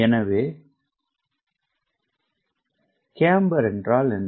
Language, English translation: Tamil, so what is camber then